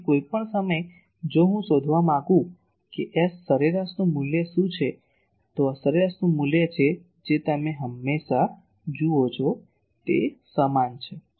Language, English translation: Gujarati, So, at any point if I want to find what is the value of S average, this is the value of S average you see always it is same